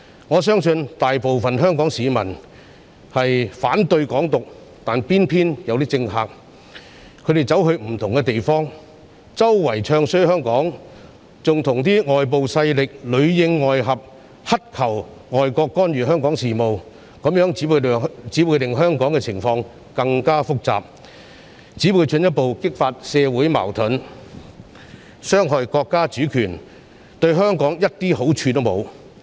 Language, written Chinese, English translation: Cantonese, 我相信大部分香港市民均反對"港獨"，但偏偏有些政客到不同地方唱衰香港，還跟外部勢力裏應外合，乞求外國干預香港事務，這樣只會令香港的情況更複雜，進一步激發社會矛盾，傷害國家主權，對香港沒有任何好處。, I believe most people of Hong Kong oppose Hong Kong independence . Yet some politicians just went to different places to badmouth Hong Kong . Moreover in collaboration with foreign forces inside and outside the territory they begged foreign countries to interfere in Hong Kong affairs which would only make the situation in Hong Kong even more complicated further aggravate social conflicts and undermine national sovereignty without doing Hong Kong any good